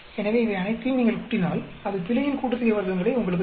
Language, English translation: Tamil, So that if you add up all these, that will give you the error sum of squares